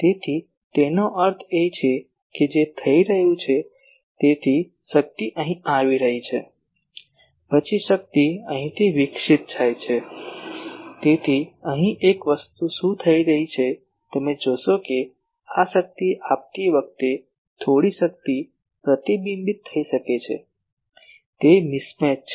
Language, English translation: Gujarati, So that means, what is happening, so, power is coming here then power is radiated from here so in between here what can happen one thing you see that while giving this power some power may gets reflected so, that is a mismatch